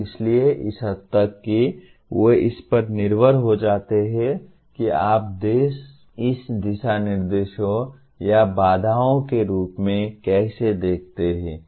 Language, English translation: Hindi, And so to that extent they become depending on how you view it as guidelines or constraints